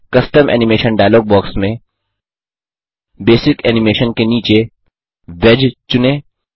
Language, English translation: Hindi, In the Custom Animation dialog box that appears, under Basic Animation, select Wedge